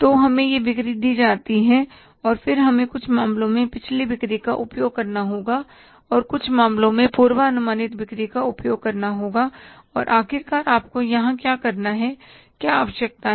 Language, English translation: Hindi, So, we are given these sales and then we have to use the previous actual sales in some cases and use the forecasted sales in the some cases